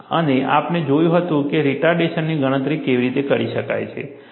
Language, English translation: Gujarati, And we had looked at how retardation can be calculated